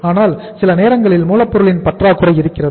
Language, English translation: Tamil, But sometime there is a shortage of the raw material